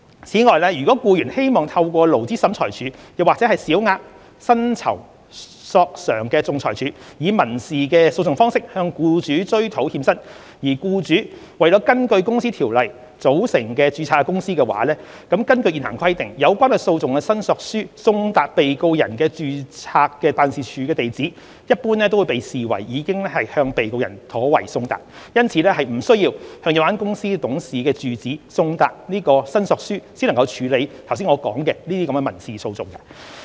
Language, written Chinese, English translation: Cantonese, 此外，如僱員希望透過勞資審裁處或小額薪酬索償仲裁處以民事訴訟方式向僱主追討欠薪，而僱主為根據《公司條例》組成及註冊的公司，根據現行規定，有關訴訟的申索書送達被告人的註冊辦事處地址，一般便會被視為已向被告人妥為送達，因此並不需要向有關公司董事的住址送達申索書才能處理我剛才所述的民事訴訟。, Moreover if an employee wishes to recover outstanding wages from hisher employer through civil proceedings in the Labour Tribunal or the Minor Employment Claims Adjudication Board and if the employer in question is a company formed and registered under the Companies Ordinance the current stipulation is that a claim served to the registered address of the defendants office will generally be deemed as having been served properly on himher . Therefore there is no need for the claim to be served to the residential address of a company director for the aforesaid civil proceeding to proceed